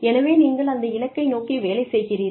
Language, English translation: Tamil, And, after that, you know, so you work towards that goal